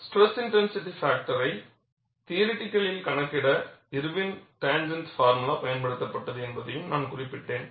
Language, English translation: Tamil, I also mentioned, that Irwin's tangent formula was used, to theoretically calculate the stress intensity factor